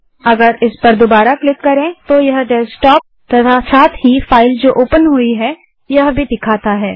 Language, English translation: Hindi, If we click this again, it shows the Desktop, along with the files already open